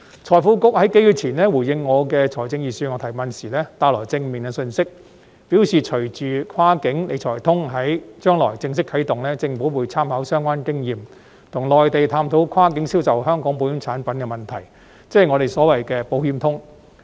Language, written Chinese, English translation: Cantonese, 財庫局數月前回應我有關財政預算案的提問時帶來正面的信息，表示隨着"跨境理財通"在將來正式啟動，政府會參考相關經驗，跟內地探討跨境銷售香港保險產品的問題，即我們所謂的"保險通"。, Several months ago the Financial Services and the Treasury Bureau also provided some positive information when responding to my question raised about the Budget . It replied that with the coming launch of the cross - boundary Wealth Management Connect the Government would take reference of relevant experience and further explore with the Mainland the proposal of facilitating cross - boundary sale of Hong Kong insurance products ie . Insurance Connect in our words